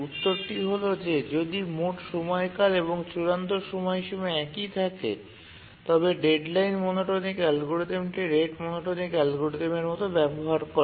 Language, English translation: Bengali, With little thinking, we can say that if the period and deadline are the same, then of course the deadline monotonic algorithm it simplifies into the rate monotonic algorithm